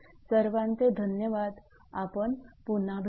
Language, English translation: Marathi, Thank you we will be back